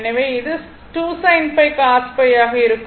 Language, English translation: Tamil, So, it will be 2 sin theta cos theta